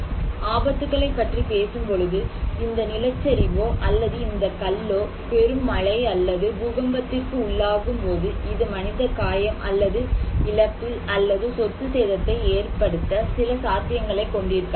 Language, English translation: Tamil, So, we are talking about hazards that this landslide or this stone when it is exposed to heavy rainfall or earthquake, it can have some potentiality to cause human injury or loss or property damage